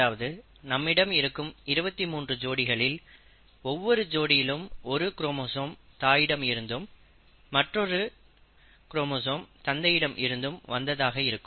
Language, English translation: Tamil, So if we have twenty three pairs; for each pair we are getting one chromosome from the mother, and one chromosome from the father